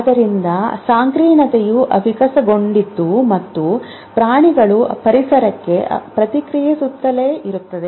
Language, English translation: Kannada, So, complexity kept evolving as the animals kept responding to the environment